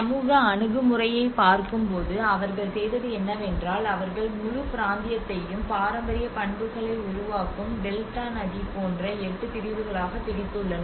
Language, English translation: Tamil, And then coming to the social approach, what they did was they divided into 8 sectors the whole region into the eight sectors like you can see the River Delta which is forming out and the whole heritage properties about here